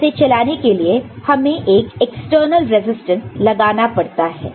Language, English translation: Hindi, So, to make it work we need to connect an external resistance to it, ok